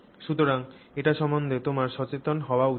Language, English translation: Bengali, So, that is something you should be aware of